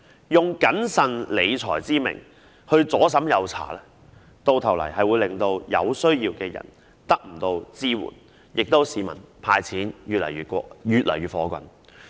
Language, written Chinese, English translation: Cantonese, 如以"謹慎理財"之名左審右查，最終只會令有需要的人得不到支援，而市民亦會對"派錢"越來越反感。, A multitude of checks in the name of fiscal prudence will only end up leaving people in need with no support and members of the public will also grow increasingly unhappy with cash handouts